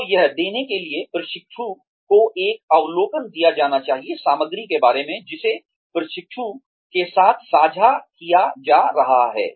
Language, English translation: Hindi, So in order to give that, an overview should be given to the trainee, regarding the material, that is being shared with the trainee